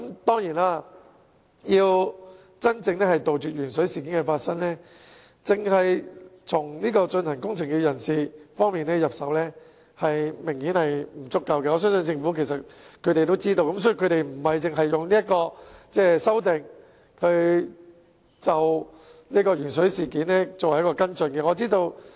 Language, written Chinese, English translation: Cantonese, 當然，如要真正杜絕鉛水事件，只從進行工程人士方面入手明顯是不足夠的，我相信政府也清楚這點，所以政府亦並非單以這次修訂作為鉛水事件的跟進。, Certainly if the authorities want to truly eradicate the lead - in - water incident it is obviously insufficient if they only begin with those who conduct the relevant works . I believe the Government is likewise well aware of this . Therefore the Government has not regarded this amendment exercise as the only follow - up on the lead - in - water incident